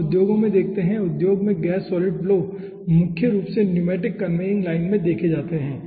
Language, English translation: Hindi, in industry those gas solid flows are mainly observed in pneumatic conveying line